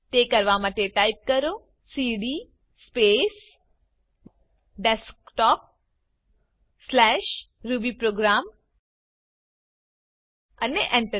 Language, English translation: Gujarati, To do so, type cd space Desktop/rubyprogram and press Enter